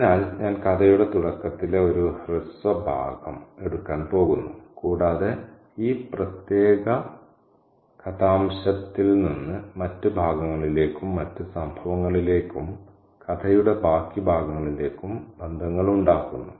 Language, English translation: Malayalam, So, I'm going to take a brief passage at the beginning of this story and also make connections from this particular passage to other passages, other incidents and other characters in the rest of the story